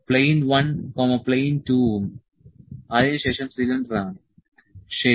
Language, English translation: Malayalam, Plane 1, plane 2 and next is cylinder, ok